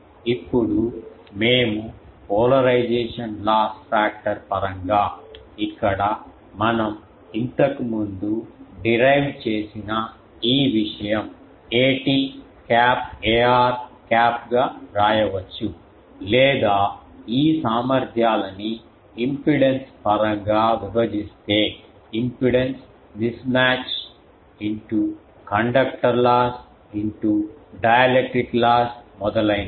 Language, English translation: Telugu, Now, if we introduce the polarization loss factor then we can write here that a t cap a r cap this thing we have earlier derived, or if we break it into this efficiencies can be broken into mismatch the impedance mismatch, in to the conductor loss, into the dielectric loss etc